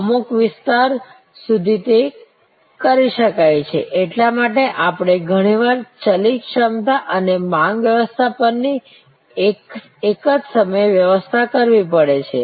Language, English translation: Gujarati, There are some, to some extend it can be done; that is why we have to often manage variable capacity and demand management at the same time